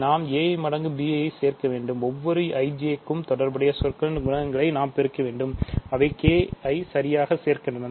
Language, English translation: Tamil, So, we have to add a i times b j, we have to multiply the coefficients of the corresponding terms for every i, j which add up to k right